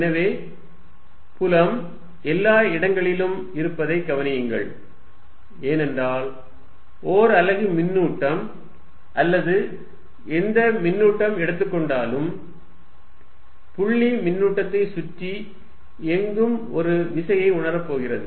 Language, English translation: Tamil, So, notice that field exist everywhere, because given a unit charge or given any charge, anywhere around the point charge is going to experience a force